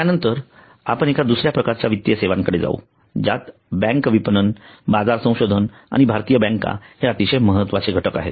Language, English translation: Marathi, next we go to another type of financial services which is very important which is bank marketing market research and Indian banks